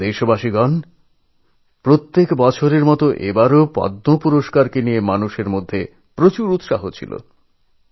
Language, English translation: Bengali, My beloved countrymen, this year too, there was a great buzz about the Padma award